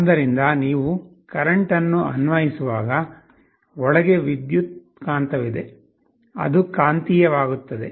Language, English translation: Kannada, So, when you apply a current there is an electromagnet inside, which gets magnetized